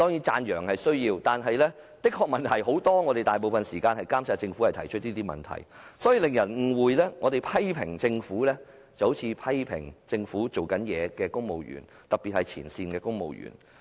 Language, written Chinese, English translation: Cantonese, 讚揚固然必需，但政府問題的確很多，我們花大部分時間指出這些問題旨在監察政府，卻難免令人產生錯覺，以為我們除了批評政府，也批評為政府做事的公務員，特別是前線公務員。, Praise is certainly essential but the Government really has many problems . We spend most of our time on pinpointing these problems for the purpose of monitoring the Government but inevitably it may give people the wrong impression that apart from the Government civil servants who work for the Government especially those in the front line are also our subject of criticisms